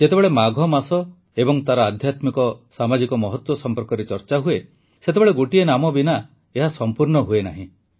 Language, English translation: Odia, whenever a discussion on the month of Magh and its spiritualsocial significance takes place, the discourse is never complete without one name the name is that of Sant Ravidas ji